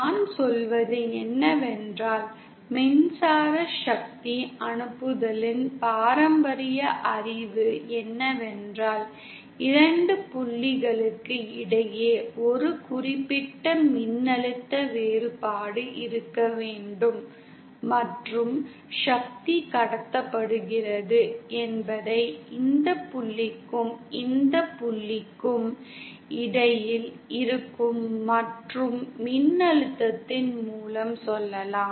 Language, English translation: Tamil, What I mean is, we know the traditional knowledge of Electrical Power transmission is that there has to be a certain voltage difference between 2 points and power is transmitted let is say between this point and this point by means of current and voltage